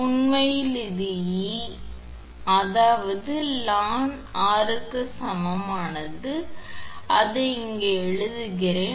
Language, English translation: Tamil, Actually it is e, right that means ln R upon r is equal to and actually it is I am writing here